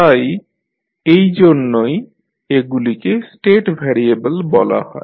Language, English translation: Bengali, So that is why these are called as a state variables